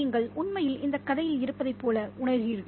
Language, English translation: Tamil, You feel like you are actually in the story